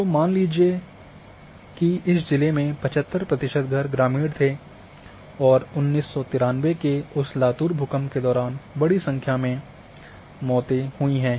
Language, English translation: Hindi, So, say 75 percent of the houses in this district were rural houses and lot of large number of deaths have occurred during that Latur earthquake of 1993